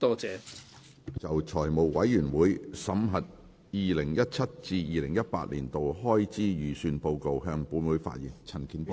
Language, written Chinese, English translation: Cantonese, 陳健波議員就"財務委員會審核2017至2018年度開支預算的報告"向本會發言。, 68 . Mr CHAN Kin - por will address the Council on the Report of the Finance Committee on the examination of the Estimates of Expenditure 2017 - 2018